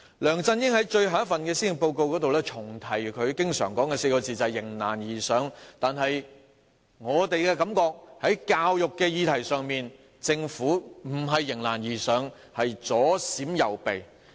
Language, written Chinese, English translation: Cantonese, 梁振英在最後一份施政報告重提他經常說的4個字，就是"迎難而上"，但在教育的議題上，我們覺得政府並非迎難而上，而是左閃右避。, In this last Policy Address of his LEUNG Chun - ying has once again conjured up the phrase which he often uses rise to the challenges ahead . On the education issues however we do not think the Government has risen to the challenges ahead . Rather it has dodged them one after another